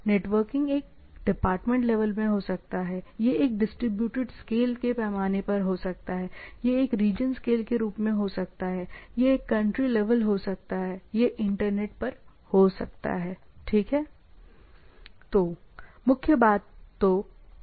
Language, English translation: Hindi, It is in a department, how you things make the networking things, it can be at a institute scale, it can be as a region scale, it can be country it can be over internet, right